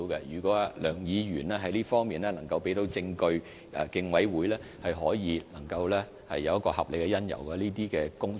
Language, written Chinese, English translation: Cantonese, 如果梁議員在這方面能夠提供證據，競委會便可以考慮是否有合理理由，展開有關工作。, If Mr LEUNG can provide evidence on this the Commission may have reasonable cause to commence relevant work immediately